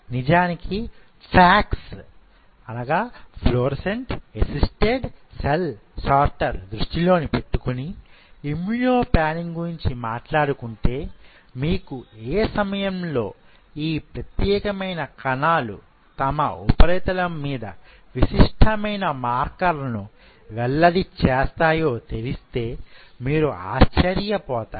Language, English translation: Telugu, As a matter of FACS you will be surprised to know regarding this immuno panning if you really know at what point of time these specific cells express unique markers on their surface